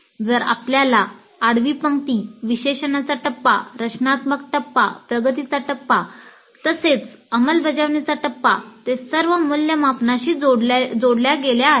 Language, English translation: Marathi, If you see the horizontal rows, analysis phase, design phase, development phase as well as implement phase, they are all linked to evaluate